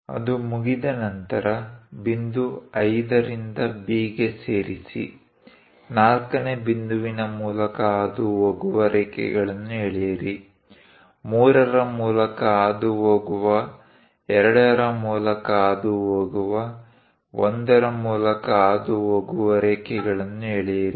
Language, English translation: Kannada, Once it is done, parallel to this line, parallel to point 5 and B, passing through 4th point, draw lines passing through 3, passing to 2, passing to 1